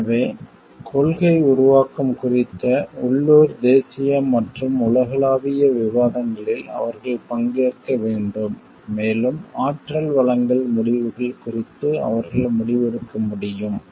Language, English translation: Tamil, So, they need to like participate in local national and global discussions on policy making and so, that they can take a decision about energy supply decisions